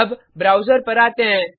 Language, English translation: Hindi, Now, come to the browser